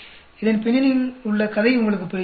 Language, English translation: Tamil, Do you understand the story behind this